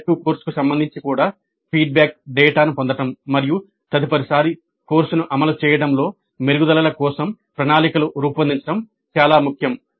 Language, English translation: Telugu, Even with respect to the electric course, it is important to get the feedback data and plan for improvements in the implementation of the course the next time it is offered